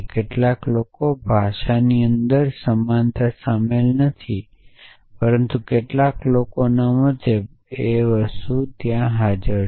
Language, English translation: Gujarati, Some people do not include equality inside the language, but some people do